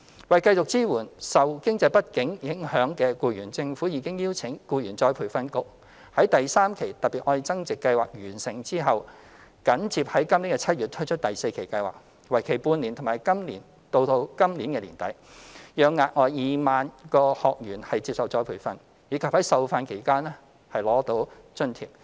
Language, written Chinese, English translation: Cantonese, 為繼續支援受經濟不景影響的僱員，政府已邀請僱員再培訓局在第三期"特別.愛增值"計劃完成後，緊接於今年7月推出第四期計劃，為期半年至今年年底，讓額外2萬名學員接受再培訓，以及在受訓期間取得津貼。, In order to continue to support employees affected by the economic downturn the Government has asked the Employees Retraining Board ERB to launch the fourth tranche of the Love Upgrading Special Scheme in July immediately following the third tranche which will last for six months until the end of this year under which an additional 20 000 trainees will receive retraining and allowance during the training period